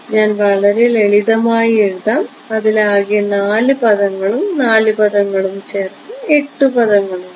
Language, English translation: Malayalam, So, I will just I will write down its very simple right there are how many 4 terms and 4 terms 8 terms right